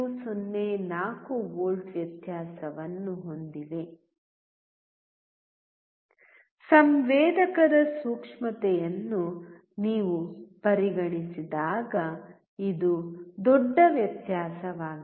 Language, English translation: Kannada, 04 volts difference; When you consider the sensitivity of a sensor, this is a big difference